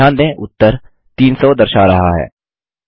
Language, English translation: Hindi, Notice the result shows 300